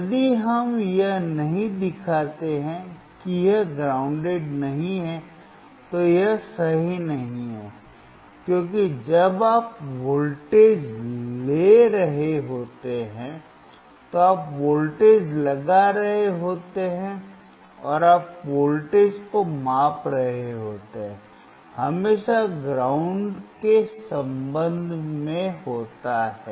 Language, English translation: Hindi, If we do not show that it is not grounded, it is not correct, because when you are taking voltage you are applying voltage and you are measuring voltage is always with respect to ground